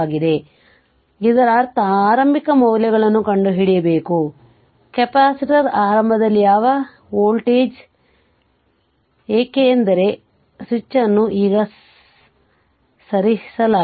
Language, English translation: Kannada, But, that means you have to find out the initial values of the your, what you call voltage across the capacitor initial, because switch is moved now